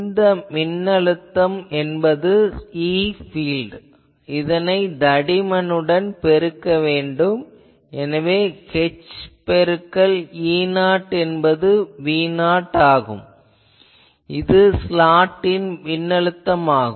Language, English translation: Tamil, So, voltage is what I know the e field that I need to multiply by the thickness so, h into E 0 is V 0, it is a voltage across the slot ok